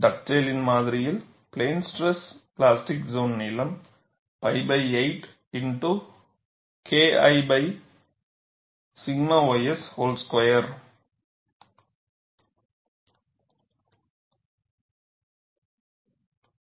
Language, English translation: Tamil, And in Dugdale’s model, the plane stress plastic zone length is pi by 8 multiplied by K 1 by sigma ys whole square